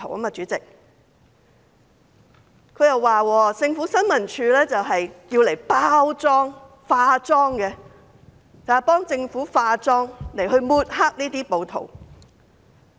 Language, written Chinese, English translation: Cantonese, 陳議員還說新聞處的職責是替政府"化妝"，用來抹黑暴徒。, Mr CHAN also said that the duty of ISD is to cover up for the Government and smear rioters